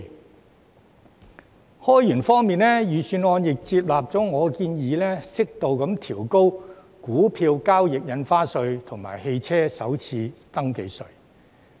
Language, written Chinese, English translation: Cantonese, 在開源方面，預算案亦採納了我的建議，適度調高股票交易印花稅及汽車首次登記稅。, As to broadening revenue sources the Budget has also adopted my proposal of moderately raising the rate of stamp duty on stock transfers stamp duty and the first registration tax on private cars